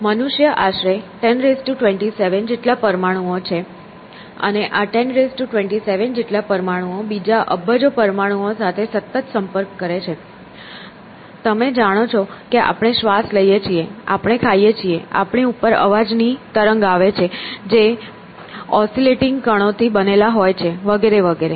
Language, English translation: Gujarati, So, human beings is about 10 raise to 27 atoms, and these 10 raise to 27 atoms are continuously interacting with zillions of other atoms out there; you know we breathe, we eat, we have sound wave impinging upon us which are also made up of oscillating particles and so on and so forth essentially